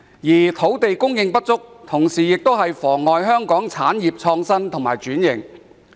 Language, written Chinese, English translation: Cantonese, 此外，土地供應不足，亦妨礙香港產業的創新及轉型。, In addition the shortage of land supply also hinders the innovation and transformation of various industries in Hong Kong